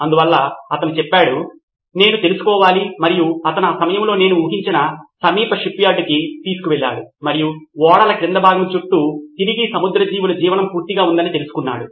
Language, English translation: Telugu, So he said, I have to find out and he took it to the nearest shipyard I guess at the time and found out that marine life was back in full flow